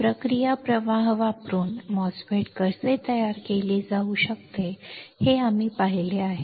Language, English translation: Marathi, We have seen how the MOSFET can be fabricated using the process flow